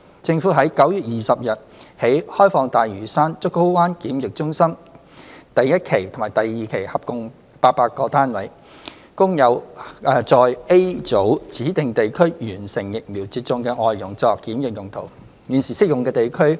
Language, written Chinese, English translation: Cantonese, 政府於9月20日起開放大嶼山竹篙灣檢疫中心第一期及第二期合共800個單位，供在 A 組指明地區完成疫苗接種的外傭作檢疫用途。, The Government has opened a total of 800 units in Phases 1 and 2 of the Pennys Bay Quarantine Centre PBQC on Lantau Island starting from 20 September for quarantine of FDHs who have been fully vaccinated in Group A specified places